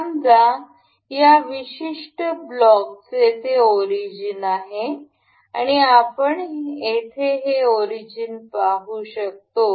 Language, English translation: Marathi, Suppose this particular block has its origin we can see this origin over here